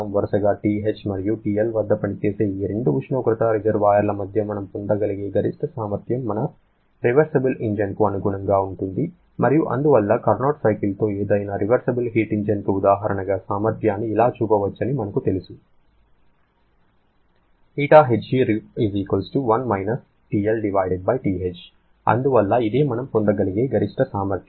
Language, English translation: Telugu, The maximum efficiency that we can get between these two temperature reservoirs operating at TH and TL respectively is corresponding to our reversible engine and therefore for any reversible heat engine with Carnot cycle being an example, we know that the efficiency can be given as 1 TL/TH and therefore that is a maximum possible efficiency you can get